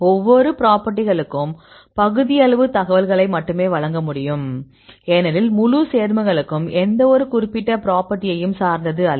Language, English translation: Tamil, So, each property can tend only the partial information because the whole compound it is not depending upon any specific property